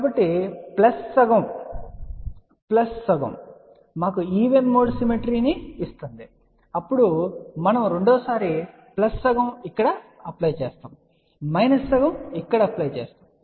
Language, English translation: Telugu, So, plus half plus half actually gives us a even mode symmetry , then we do the second time plus half apply here minus half apply here